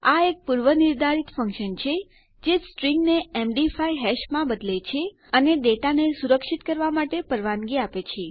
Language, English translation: Gujarati, Its a predefined function that converts a string to a MD5 hash and allows you to secure your data